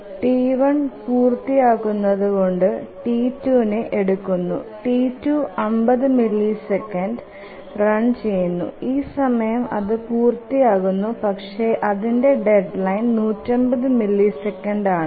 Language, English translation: Malayalam, And as T11 completes T2 will be taken up and T2 will run up to 50 milliseconds and by the time it will complete but its deadline is 150